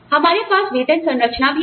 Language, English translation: Hindi, We also have a pay structure